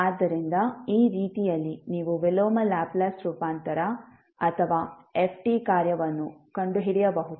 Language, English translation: Kannada, So, with this way, you can find out the inverse Laplace transform or function ft